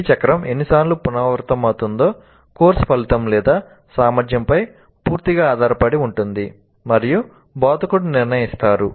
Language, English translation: Telugu, The number of times this cycle is repeated is totally dependent on the course outcome or the competency and is decided by the instructor